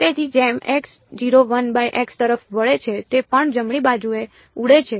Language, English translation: Gujarati, So, as x tends to 0 1 by x also blows up right